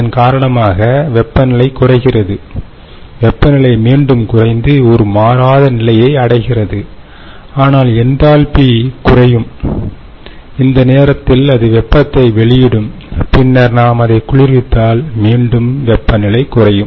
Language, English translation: Tamil, the temperature will come down and then we will reach a point where the temperature wont change anymore but the enthalpy will reduce and at the at this point it will give up heat and then, if we cool it further, the temperature we will see again is falling down